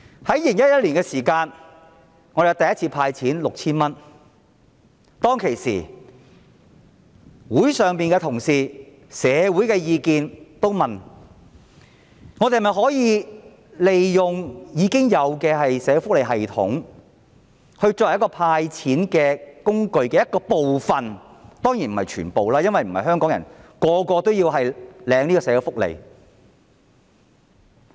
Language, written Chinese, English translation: Cantonese, 在2011年香港政府第一次派發 6,000 元之時，當時立法會內的同事及市民大眾也問，政府可否利用現有的社會福利系統來作為"派錢"工具的一部分，當然不是全部，因為並非所有香港人也領取社會福利。, In 2011 when the Hong Kong Government handed out 6,000 for the first time the colleagues of the Legislative Council and the public also asked whether the Government could use the existing social welfare system as one of the tools for disbursing cash . Of course the system would only be one of the tools as not all Hong Kong people were recipients of social benefits